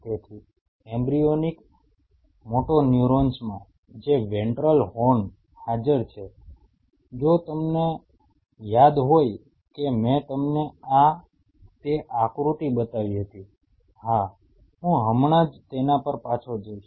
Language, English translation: Gujarati, So, in the embryonic motoneurons which are present in the ventral horn if you remember that I showed you that diagram I am just going to go back, yes